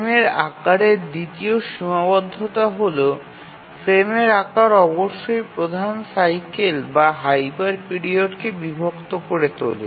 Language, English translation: Bengali, The second constraint on the frame size is that the frame size must divide the major cycle or the hyper period